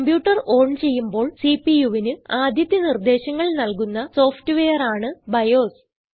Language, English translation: Malayalam, BIOS is the software which gives the CPU its first instructions, when the computer is turned on